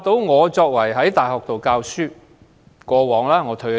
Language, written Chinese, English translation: Cantonese, 我曾在大學任教，但我已經退休。, I taught at a university before my retirement